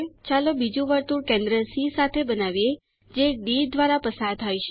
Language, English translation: Gujarati, Let us construct an another circle with center C which passes through D